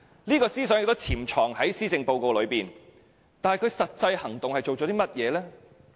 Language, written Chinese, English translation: Cantonese, 這個思想也潛藏在施政報告當中，但他做了甚麼實際行動呢？, Such a thought is embedded in the Policy Address but what practical actions has he taken?